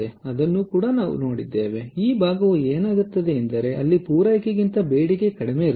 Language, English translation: Kannada, this part is where the demand is less than supply